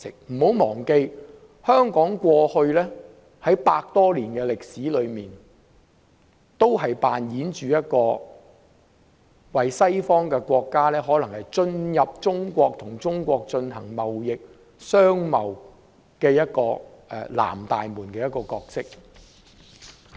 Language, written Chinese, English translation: Cantonese, 不要忘記，香港在過去百多年的歷史中，一直扮演着讓西方國家進入中國，與中國進行貿易的"南大門"角色。, Let us not forget that Hong Kong has for over a century been the southern gateway for Western countries to enter and trade with China